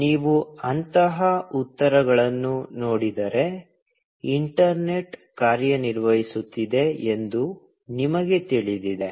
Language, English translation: Kannada, Now, if you see such replies, you know that, the internet is working